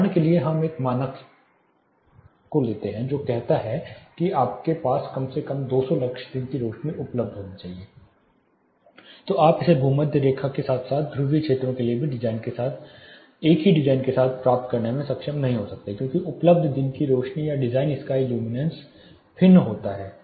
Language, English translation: Hindi, For example, when a standard says you should have at least 200 lux daylight available, you may not able to achieve it with the same design both in equator as well as in the polar regions because the available daylight are the design sky luminance varies